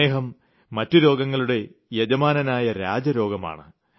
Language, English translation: Malayalam, Diabetes is the master switch that triggers all other illnesses